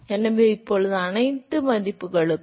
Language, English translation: Tamil, So, now, for all values of